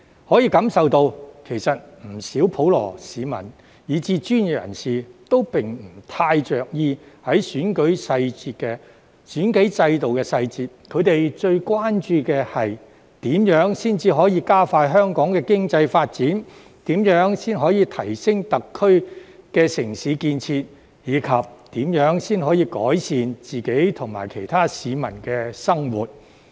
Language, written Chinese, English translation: Cantonese, 可以感受到，其實不少普羅市民以至專業人士都不太着意選舉制度的細節；他們最關注的是，如何加快香港的經濟發展、如何提升特區的城市建設，以及如何改善自己及其他市民的生活。, I could feel that many members of the general public and professionals actually did not care much about the details of the electoral system . Instead they were most concerned about how to accelerate Hong Kongs economic development how to enhance SARs urban development and how to improve their own lives and those of others